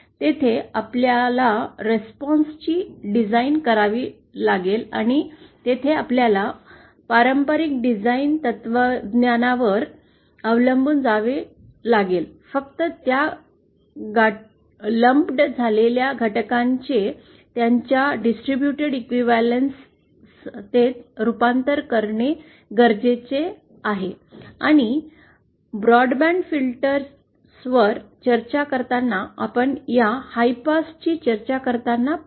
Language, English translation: Marathi, There we have to design the response and there we have to rely on the traditional design philosophies except that we also need to convert those lumped elements to their distributed equivalence and that we shall see while we discuss this high pass while we discuss the broadband filters